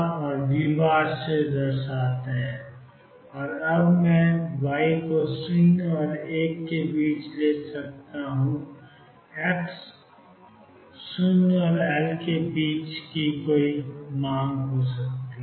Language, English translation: Hindi, And now I can take y between 0 and 1 for x varying between 0 and L